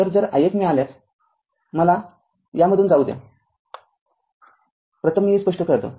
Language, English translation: Marathi, So, if you get i 1 let me let me go through this let me clear it first